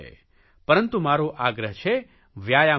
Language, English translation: Gujarati, But I would request you to do exercises